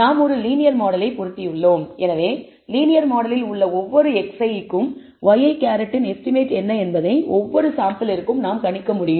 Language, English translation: Tamil, We have fitted a linear model, so, for every x i we can predict from the linear model what is the estimate of y i hat for every sample